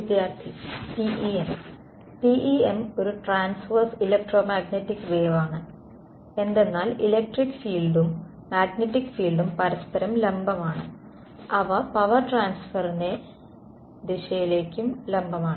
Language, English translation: Malayalam, TEM its a Transverse Electromagnetic wave because the electric field and magnetic field are perpendicular to each other and they are perpendicular to the direction of power transfer